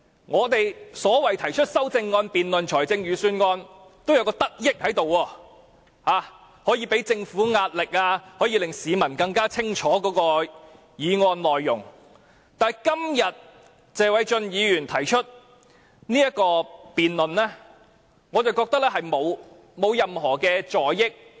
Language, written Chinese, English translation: Cantonese, 我們就財政預算案提出的修正案的辯論是有益的，例如可向政府施壓、令市民更清楚議案內容，但謝偉俊議員今天提出的議案，我認為並無任何助益。, Debates arising from the amendments proposed by us on the budget were beneficial for they may exert pressure on the Government and allow the public to know the content of the motion clearly . However I do not think the motion proposed by Mr Paul TSE today will bring any benefit